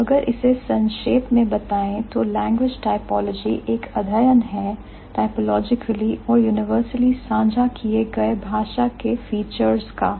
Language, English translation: Hindi, So, to cut it shut or to put it in a nutshell, language typology is the study of typologically and universally shared features of language